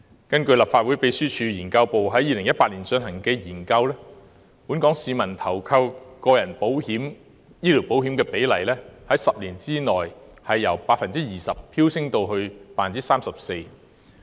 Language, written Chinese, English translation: Cantonese, 根據立法會秘書處資料研究組在2018年進行的研究，本港市民投購個人醫療保險的比率在10年間由 20% 飆升至 34%。, According to the study conducted by the Research Office of the Legislative Secretariat in 2018 the proportion of local population covered by individual - based health insurance has surged from 20 % to 34 % within a decade